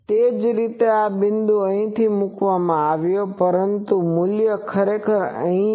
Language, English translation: Gujarati, Similarly, this point is put here, but the value is actually here